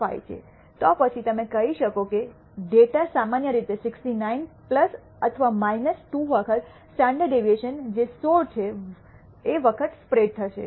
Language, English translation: Gujarati, 5, then you can say that the data will spread typically between 69 plus or minus 2 times the standard deviation which is 16